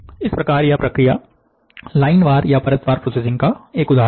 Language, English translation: Hindi, Thus, this process is an example of line wise processing